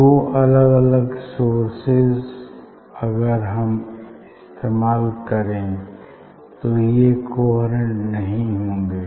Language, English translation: Hindi, two individual source if you use they are not coherent